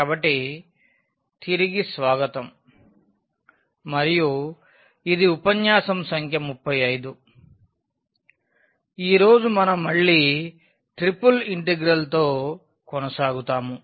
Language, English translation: Telugu, So, welcome back and this is lecture number 35 today we will continue again with Triple Integral